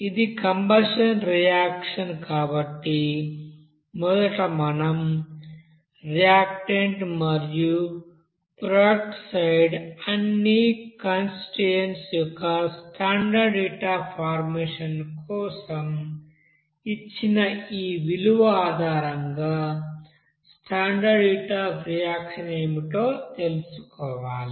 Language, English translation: Telugu, Since it is you know that combustion reaction so first of all we have to find out what will be the standard heat of reaction based on this value given for standard heat of formation of all constituents here for the reactants and product sides